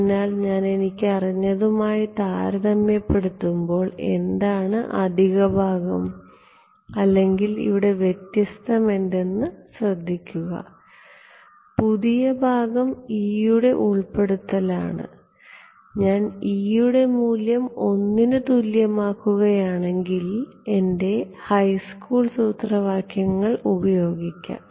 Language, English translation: Malayalam, So, notice I mean what is the what is the additional part or what is different here compared to what we knew forever, the new part is the introduction of the e’s, if I make the e’s equal to 1, I get back my high school formulas